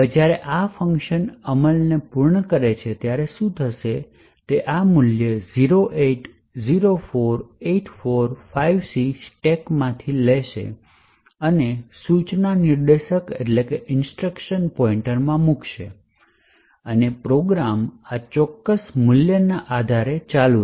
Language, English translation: Gujarati, So, essentially what would happen when this function completes execution is that this value 0804845C gets taken from the stack and placed into the instruction pointer and execution of the program will continue based on this particular value